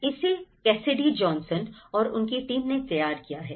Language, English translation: Hindi, This has been prepared by the Cassidy Johnson and her team